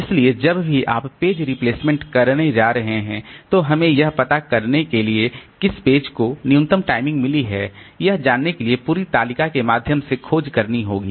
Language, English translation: Hindi, So whenever you are going to do page replacement, we have to search through this entire table to find out which page has got the minimum timing